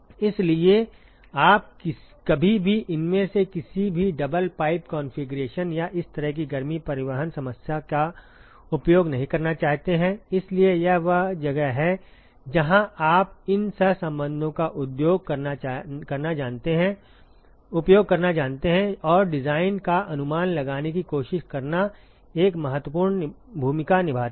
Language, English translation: Hindi, So, you never want to use any of these double pipe configurations or such kind of a heat transport problem, so, this is where you know using these correlations and trying to estimate the design plays an important role